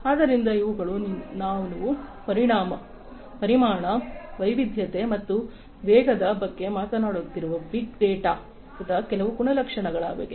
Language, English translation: Kannada, So, these are some of these characteristics of big data we are talking about volume, variety and velocity